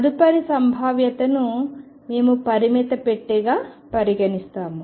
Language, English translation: Telugu, So, the next potential we consider as a finite box